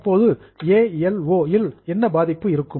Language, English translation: Tamil, Now what will be the impact on ALO